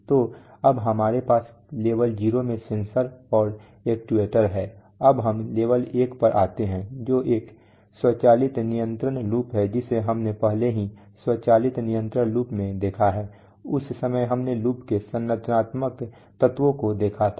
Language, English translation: Hindi, So now we have covered sensors and actuators in level 0, now we come to level one which is an automatic control loop we have already seen the automatic control loop, we at that time we have seen the structural elements of the loop